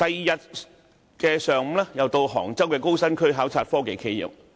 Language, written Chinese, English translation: Cantonese, 翌日上午，我又前往杭州高新區考察科技企業。, The following day I visited the technology enterprises in the Hangzhou Hi - tech Industry Development Zone in the morning